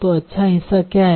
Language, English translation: Hindi, So what is the good part